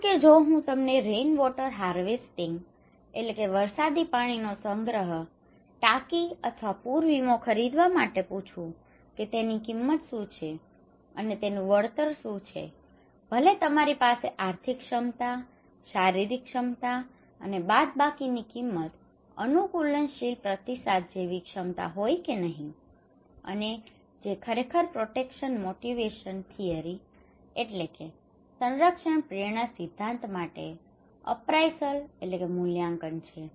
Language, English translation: Gujarati, Like if I ask you to buy a rainwater harvesting tank or buy a flood insurance what are the cost of that one and what would be the return of that one and whether you have this capacity or not financial capacity, physical capacity and minus the cost of adaptive responses okay and which is actually the coping appraisal for the protection motivation theory